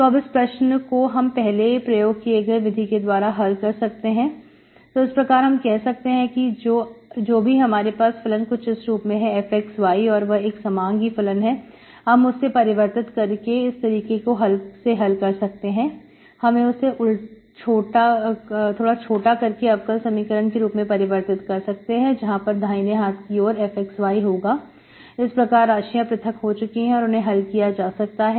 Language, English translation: Hindi, So this you can solve by earlier method for the so that means any, whenever you have a function f of x, y, which is a homogeneous function, by this transformation you can solve this, you can convert this into, you can reduce this into an ordinary differential equation with right hand side f of x, y, variables are separate it, for which variables are separated, okay